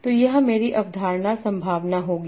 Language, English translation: Hindi, So this will be my concept probability